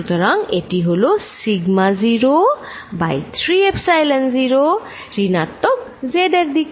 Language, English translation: Bengali, So, this is sigma naught over 3 Epsilon 0 z in the minus z direction